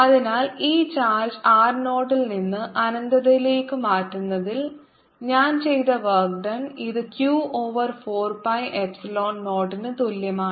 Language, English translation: Malayalam, so work done by me in moving this charge from r naught to infinity is going to be r zero to infinity, which is equal to q square over four pi epsilon zero